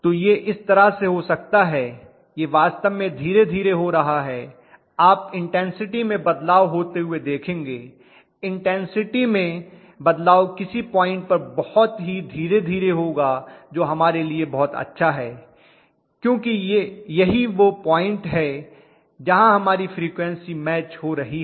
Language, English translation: Hindi, So it may become in such a way that it is actually going you know painfully slowly, you would see it going through the change in variation of the intensity, the variation in the intensity will be going through painfully slowly at some point which is very good for us, because that is where our frequencies are matching